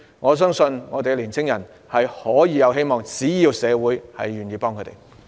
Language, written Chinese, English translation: Cantonese, 我相信青年人是有希望的，只要社會願意幫助他們。, I believe young people are hopeful so long as the community is willing to help them